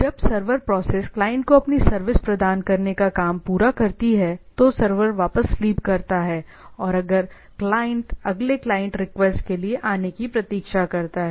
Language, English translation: Hindi, When the server process finished providing its service to the client, the server goes back to sleep waiting for the next client request to arrive